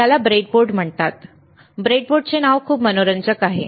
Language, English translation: Marathi, This is called breadboard, breadboard name is very interesting right